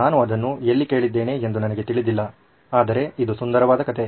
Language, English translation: Kannada, I don’t know where I heard it but it’s a beautiful story